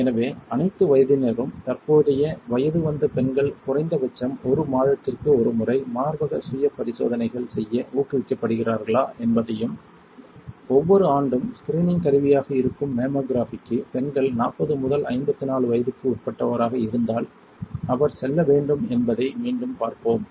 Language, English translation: Tamil, So, let us see if again screen that the current adult women of all ages are encouraged to perform breast self test at least once a month and for mammography which is a screening tool every year if the woman is between 40 and 54 she should go and perform the check up, if it is every 2 years for 55 and above